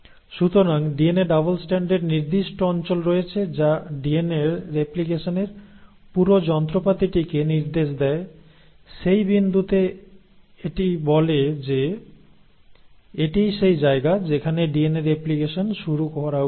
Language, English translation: Bengali, So there are specific regions on the DNA double strand which will direct the entire machinery of the DNA replication to that point telling them, that this is where the DNA replication should start